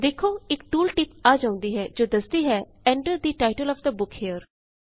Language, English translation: Punjabi, Notice that a tooltip appears saying Enter the title of the book here